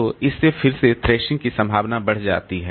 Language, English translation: Hindi, So, that again increases the possibility of thrashing